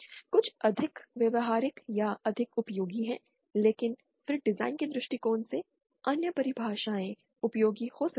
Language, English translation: Hindi, Some are more practical or more useful but then from the design point of view, other definitions can be useful